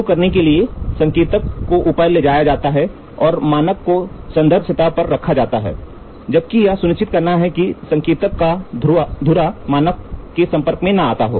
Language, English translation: Hindi, To start up, the indicator is moved up and the standard piece is placed on the reference surface, while ensuring that the spindle of the indicator does not make in contact with the standard